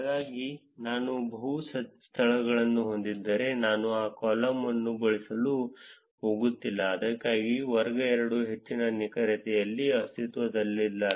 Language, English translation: Kannada, So, if I have multiple locations, I am not going to use that column, that is why class 2 does not exist in high accuracy